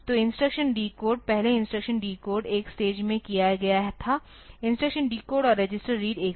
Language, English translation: Hindi, So, instruction decode previously the instruction decode was done in one stage consists doing both decode and register read together